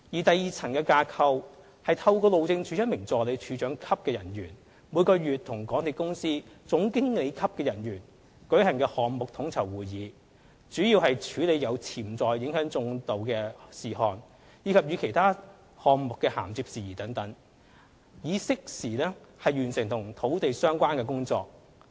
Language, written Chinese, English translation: Cantonese, 第二層架構是透過路政署一名助理署長級人員，每月與港鐵公司總經理級人員舉行項目統籌會議，主要處理對進度有潛在影響的事項，以及與其他項目的銜接事宜等，以適時完成與土地相關的工作。, In the second tier an HyD officer at Assistant Director level holds monthly Project Coordination Meetings with General Managers of MTRCL mainly to deal with matters which may have potential impact on the progress of the project and interface with other projects so as to complete the land - related work in a timely manner